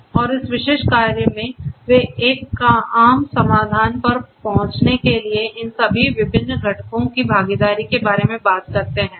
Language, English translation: Hindi, And this particular work they talk about the involvement of all of these different components to arrive at a common solution